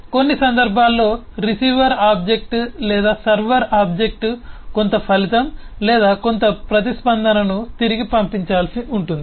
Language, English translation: Telugu, now in some cases the receiver object or the server object will need to send back some result or some response